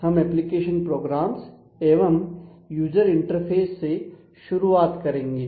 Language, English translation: Hindi, So, we first start with application programs and user interfaces